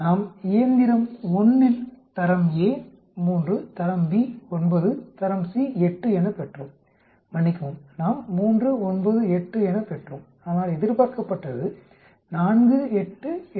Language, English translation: Tamil, We observe on machine 1, Grade A 3, Grade B 9, Grade C 8, sorry we observed 3, 9, 8 but expected is 4, 8, 8